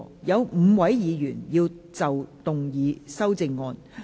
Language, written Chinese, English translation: Cantonese, 有5位議員要動議修正案。, Five Members will move amendments to this motion